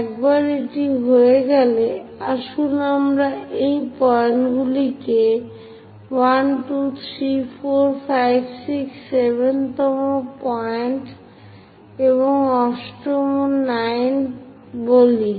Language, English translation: Bengali, Once it is done, let us name these points 1, 2, 3, 4 all the way 5, 6, this is the 7th point, 8th, 9